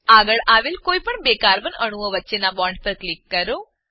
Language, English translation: Gujarati, Click on the bond between the next two alternate carbon atoms